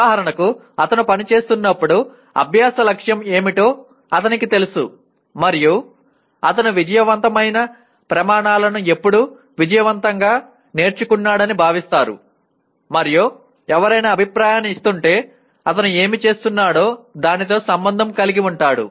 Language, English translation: Telugu, For example when he is working he knows what the learning goal is and when is he considered to have successfully learnt that success criteria he is aware of and also if somebody is giving feedback he can relate it to what he was doing